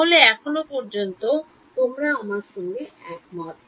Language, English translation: Bengali, You agree with me so far